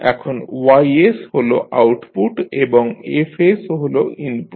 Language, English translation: Bengali, That y s is the output and f s is the input